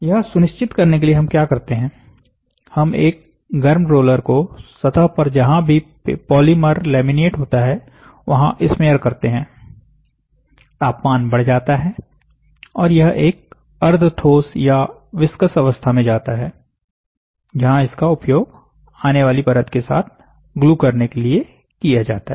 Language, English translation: Hindi, So, for that to make sure, what we do is we have a heated roller, this heated roller smears over the surface, smears over the surface and then wherever there is a laminate polymer, laminate and temperature is rose and then it becomes in a semi solid state or in a viscous state, where that is used to glue with a next layer coming